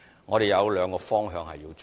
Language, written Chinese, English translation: Cantonese, 我們有兩個方向要發展。, We have two directions of development